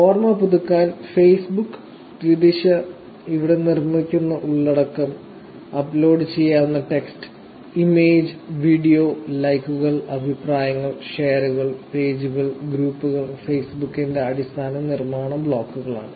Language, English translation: Malayalam, Again, just to refresh, Facebook, bidirectional, content that are produced here – text, image and video which can be uploaded, likes, comments and shares, pages and groups are the basic building blocks of Facebook